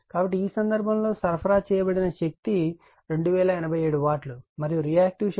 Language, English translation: Telugu, So, in this case, the real power supplied is that two 2087 watt, and the reactive power is 834